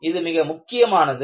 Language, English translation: Tamil, This is very important